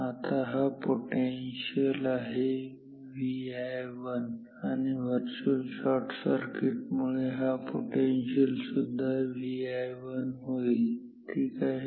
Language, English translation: Marathi, Now, this potential is V i 1 e virtual shorting works then this potential will also be V i 1 ok